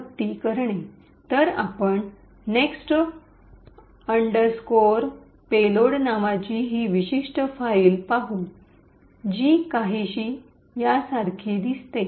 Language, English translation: Marathi, So, we would look at this particular file called next underscore payload which looks something like this